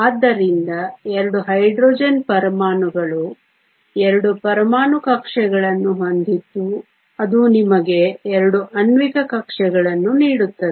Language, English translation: Kannada, So, a 2 Hydrogen atoms have 2 atomic orbitals which give you 2 molecular orbitals